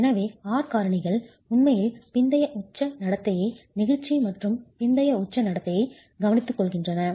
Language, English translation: Tamil, So the R factors actually taking care of post peak behavior, inelasticity and post peak behavior of the system